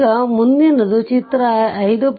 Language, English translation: Kannada, So, this is my figure 5